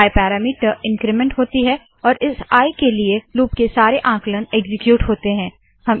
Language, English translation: Hindi, The parameter i is incremented and all the calculations of the loop are executed for the new i